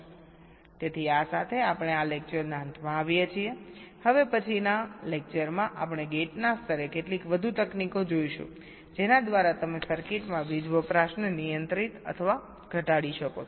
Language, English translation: Gujarati, now in the next lecture we shall be looking at some more techniques at the level of gates by which you can control or reduce the power consumption in the circuit